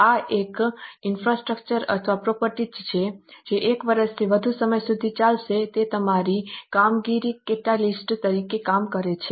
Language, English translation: Gujarati, This is a infrastructure or a property which is going to last for more than one year it acts as a catalyst in our operations